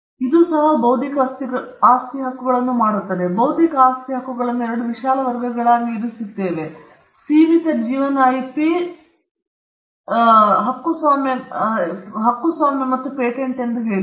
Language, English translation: Kannada, This makes intellectual property rights; it puts intellectual property rights into two broad categories: one as I said is the limited life IP copyrights and patents